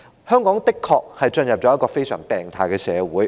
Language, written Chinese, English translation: Cantonese, 香港的確進入了一個非常病態的社會。, Hong Kong has indeed become a very sick society